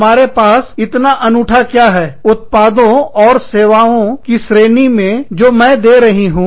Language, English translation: Hindi, What is so unique, in the range of products and services, that i am offering